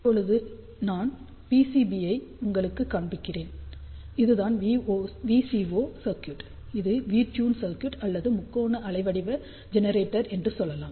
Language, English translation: Tamil, So, let me now show you the realized PCB, so this is that VCO circuit which I had shown you, this is the V tuned circuit or you can say triangular waveform generator